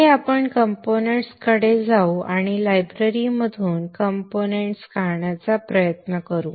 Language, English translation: Marathi, Next we go to the components and try to draw the components from the libraries